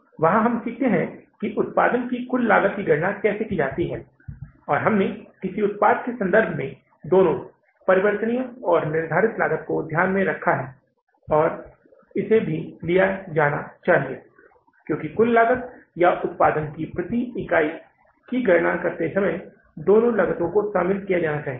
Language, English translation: Hindi, There we learned about how to calculate the total cost of production and there we took into consideration both variable and the fixed cost with regard to a product and it should be taken also because both the costs are costs and should be included while working out the total cost of the production per unit or maybe total